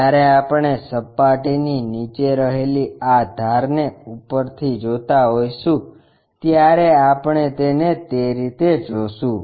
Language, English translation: Gujarati, When we are looking from top view these edges under surface we will see it in that way